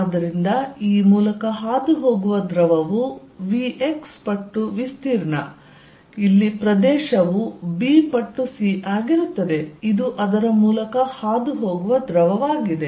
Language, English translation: Kannada, So, fluid passing through this is going to be v x times the area, area is going to be b times c, this is a fluid passing through it